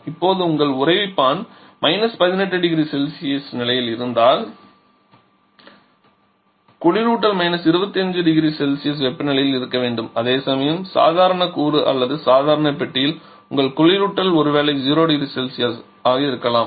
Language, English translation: Tamil, Now if your freezer is at a temperature of 18 degree Celsius then the refrigerant needs to be at a temperature of say 25 degree Celsius whereas in the normal component or normal compartment rather you refrigeration and maybe just around 0 degree Celsius